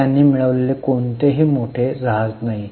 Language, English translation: Marathi, So, no major ship they have acquired